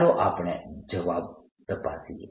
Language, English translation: Gujarati, let's check the answer